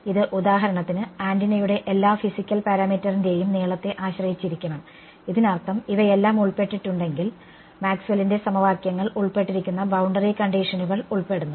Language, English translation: Malayalam, It should depend, for example, on the length of the antenna all of the physical parameter of it; that means, if all of these things are involved, Maxwell’s equations are involved boundary conditions are involved